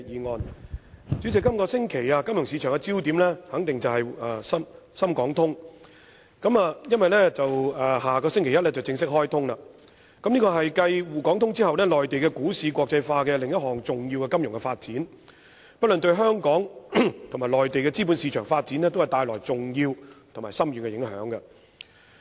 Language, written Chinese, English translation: Cantonese, 代理主席，這星期金融市場的焦點肯定是深港股票市場交易互聯互通機制，因為深港通在下星期一便會正式開通，是繼滬港股票市場交易互聯互通機制後內地股市國際化的另一項重要金融發展，不論對香港和內地資本市場發展皆帶來重要和深遠的影響。, Deputy President the focus of the financial market this week is certainly on the Shenzhen - Hong Kong Stock Connect because the Sz - HK Stock Connect will formally commence next Monday . This is another major financial development in the internationalization of Mainland stocks following the launching of the Shanghai - Hong Kong Stock Connect and will produce significant and far - reaching impact on the development of the capital markets in Hong Kong and the Mainland